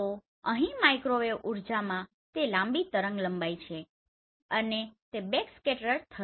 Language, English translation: Gujarati, So here microwave energy they are the longer wavelength and they will get backscattered right